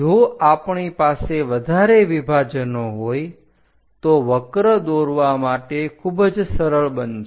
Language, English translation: Gujarati, If we have more number of divisions, the curve will be very smooth to draw it